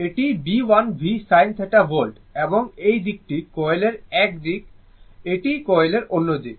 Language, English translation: Bengali, This is B l v sin theta volts right and this side is the one side of the coil, this is another side of the coil